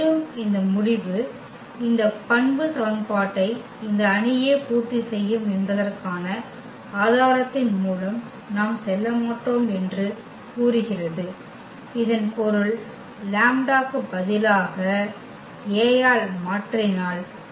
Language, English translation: Tamil, And, this result says which we will not go through the proof that this u this matrix itself will satisfy this characteristic equation; that means, if instead of the lambda if we replace this by A